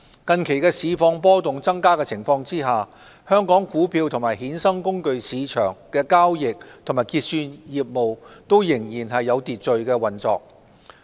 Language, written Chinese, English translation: Cantonese, 近期市況波動增加的情況下，香港股票及衍生工具市場的交易及結算業務仍然有序運作。, The trading and clearing operations of the Hong Kong stock and derivatives markets have been performing in an orderly manner in spite of the increasing market volatility